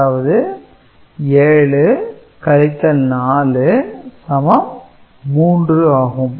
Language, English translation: Tamil, So, 7 minus 4 is positive 3 ok